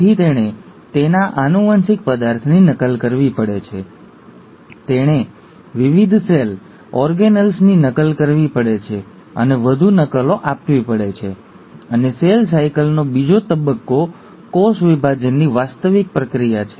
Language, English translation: Gujarati, So it has to duplicate it's genetic material, it also has to duplicate and give more copies of different cell organelles, and the second stage of cell cycle is the actual process of cell division